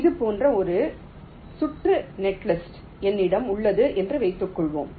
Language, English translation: Tamil, suppose i have a circuit, netlist, like this